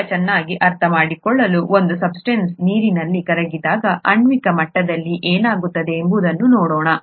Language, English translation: Kannada, To understand that a little better let us, let us look at what happens at the molecular level when a substance dissolves in water